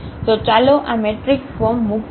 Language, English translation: Gujarati, So, let us put in this matrix form